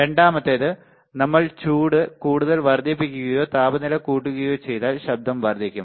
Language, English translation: Malayalam, Second is if we increase the heat more or increase the temperature, the noise will increase